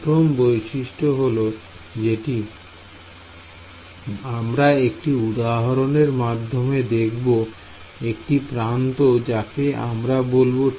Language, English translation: Bengali, So, the first property over here is if I look at for example, any one edge over here let us look at T 1